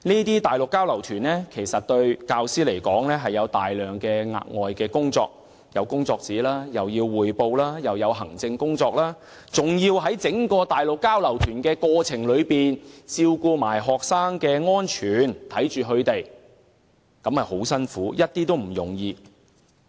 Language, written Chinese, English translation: Cantonese, 對教師而言，這些交流活動涉及大量額外工作，包括預備工作紙、向校方匯報及處理行政事務等，還要在整個交流行程中照顧及看管學生，十分辛苦，並不易為。, For teachers these exchange activities necessitate a great deal of extra work including preparing work sheets making reports to the school and handling administrative duties etc . Above all teachers have to look after and supervise the students throughout the entire exchange tour . It is no easy task and very tiring indeed